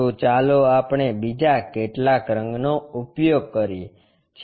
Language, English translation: Gujarati, So, let us use some other color